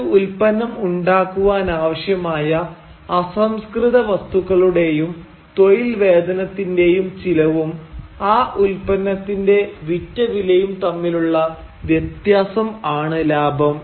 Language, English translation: Malayalam, Profit is the difference between the price of the raw material plus the labour charges that are required to make a commodity and the final selling price of the commodity